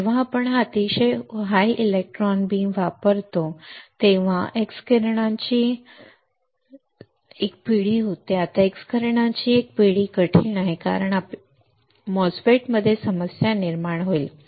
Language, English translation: Marathi, That when we use this very high electron beam then there is a generation of x rays, now this generation of x rays are difficult because we have it will cause a problem in MOSFET